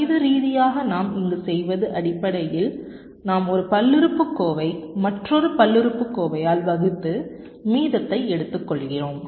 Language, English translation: Tamil, mathematically, what we do here is basically we are dividing a polynomial by another polynomial and take the reminder